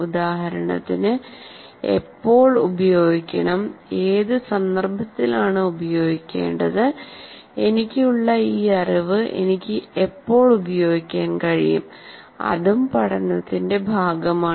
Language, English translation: Malayalam, For example, when to use, in what context to use, when can I use this particular learning that I have, that is also part of the learning